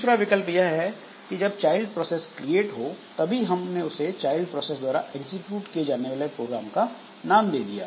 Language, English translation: Hindi, Other option is that when this is, when this child is created at the same time we mention some name of the program to be executed by the child process